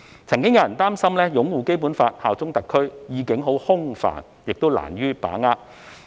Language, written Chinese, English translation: Cantonese, 曾經有人擔心"擁護《基本法》、效忠特區"的意境空泛，難於把握。, Previously there were worries that the meaning of upholding the Basic Law and bearing allegiance to HKSAR was too vague to understand